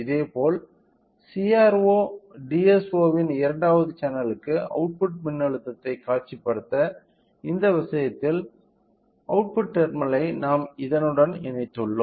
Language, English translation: Tamil, Similarly, to visualize the output voltage to the second channel of CRO DSO in this case we have connected the output terminal to this